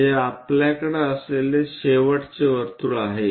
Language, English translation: Marathi, This is the last circle what we are going to have